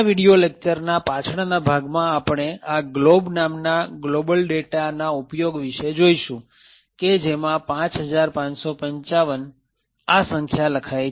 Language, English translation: Gujarati, In a later part of the video we will see the use of this global data which is set to a value of 5555 and we print this value of 5555 over here